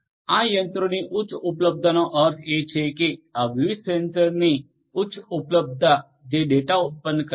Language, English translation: Gujarati, High availability of this machinery means that high availability of these different sensors which produce data